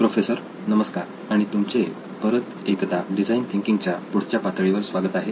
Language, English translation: Marathi, Hello and welcome back to the next stage of design thinking